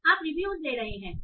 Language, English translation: Hindi, So you are taking reviews